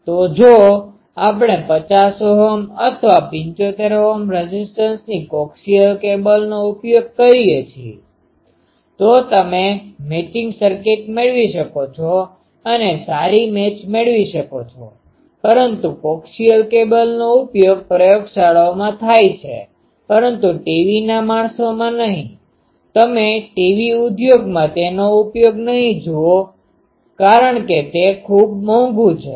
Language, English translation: Gujarati, So, if we use a coaxial cable of either 50 Ohm or 75 Ohm impedance, then it is a you can have a matching circuit and have a good match, but coaxial cable is used in laboratories but not in TV people, you TV industry does not use it because it is quite costly